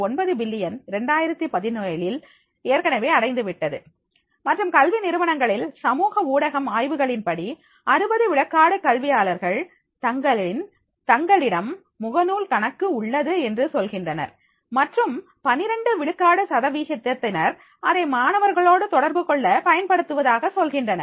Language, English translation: Tamil, 9 billion in the 2017 and social media in educational institutions, according to a research, 61 percent of the educators say they have a Facebook account and the 12 percent of them say they use it to communicate with the students